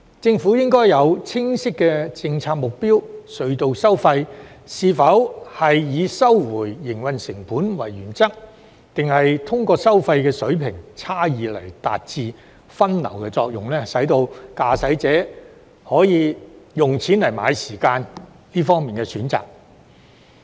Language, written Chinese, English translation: Cantonese, 政府應該有清晰的政策目標：隧道收費是以收回營運成本為原則，抑或通過收費水平差異而達致分流作用，使駕駛者可以有"用錢買時問"的選擇呢？, The Government should have a clear policy objective Is the charging of tunnel tolls based on the principle of operational cost recovery? . Or does it aim at using the difference in toll levels to divert the traffic and in turn give motorists the option of spending money to save time?